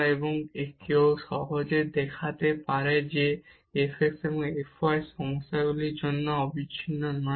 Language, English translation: Bengali, And one can easily show that f x and f y are not continuous for this problem as well